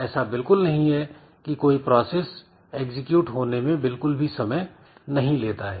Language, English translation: Hindi, So, there is nothing like the process does not take any time for execution